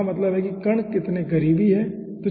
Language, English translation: Hindi, that means how closely the particles are spaced